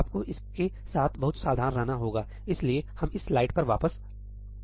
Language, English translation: Hindi, You have to be very careful with this, so, let us go back to this slide